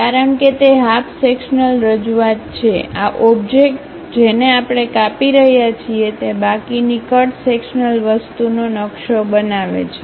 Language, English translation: Gujarati, Because, it is a half sectional representation, this object whatever we are slicing it maps the remaining cut sectional thing